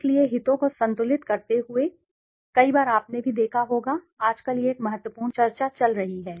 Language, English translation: Hindi, So, balancing the interests also, many a times also you must have seen nowadays it is a important discussion going on